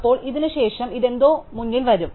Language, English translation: Malayalam, Then, after this, this something will come to the front